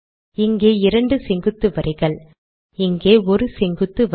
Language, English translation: Tamil, Here I want two vertical lines, here I want 1 vertical line